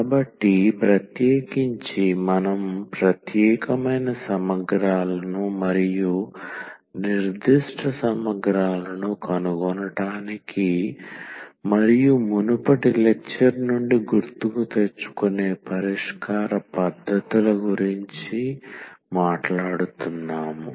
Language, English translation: Telugu, So, in particular we were talking about the particular integrals and the solution techniques for finding the particular integrals and just to recall from the previous lecture